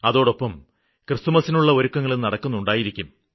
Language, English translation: Malayalam, On the other hand Christmas preparations must have started too